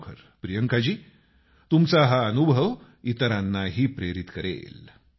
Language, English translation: Marathi, Really Priyanka ji, this experience of yours will inspire others too